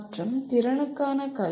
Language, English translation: Tamil, And education for capability